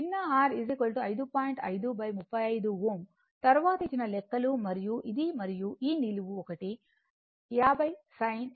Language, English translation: Telugu, 5 by , your 35 , Ohm calculations given later right and this and this vertical one is 50 sine 52